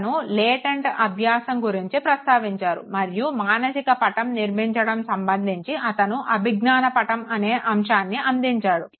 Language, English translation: Telugu, He talked about latent learning and of course with respect to formation of the mental map, he gave the concept of cognitive map also